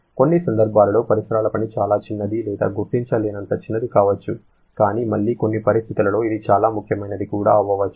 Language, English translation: Telugu, In situations your surrounding work may be extremely small or negligibly small but again under certain situations it can be quite significant